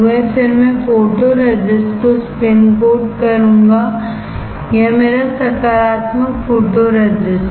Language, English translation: Hindi, Then I will spin coat photoresist, this is my positive photoresist